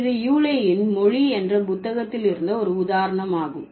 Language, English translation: Tamil, So, this is an example from Yule's book language